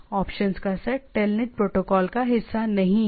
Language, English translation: Hindi, The set of options is not a part of the telnet protocol